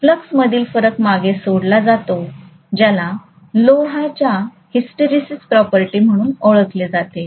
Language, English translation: Marathi, The variation in the flux is left behind which is known as the hysteresis property of the iron